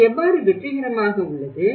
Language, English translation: Tamil, How it has been successful